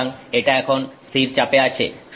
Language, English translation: Bengali, So, this is now at constant pressure